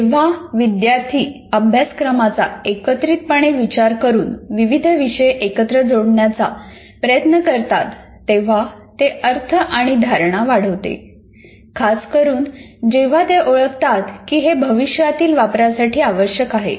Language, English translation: Marathi, So when students make connections between subject areas by integrating the curriculum, it increases the meaning and retention, especially when they recognize a future use for the new learning